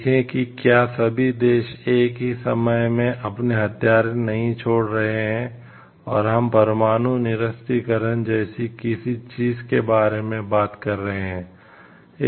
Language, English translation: Hindi, See if all the countries are not giving up the weapons at the same point of time and, we are talking of like to some nuclear disarmament